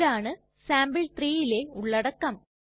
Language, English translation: Malayalam, This is the content of sample3